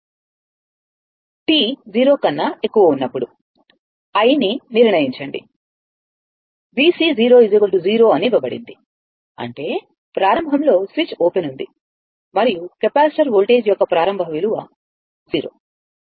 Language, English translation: Telugu, Determine i for t greater than 0 given that V C 0 is 0; that means, initially switch was open and initial values of voltage across the capacitor is 0